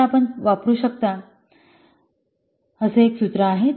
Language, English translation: Marathi, So there is a formula you can use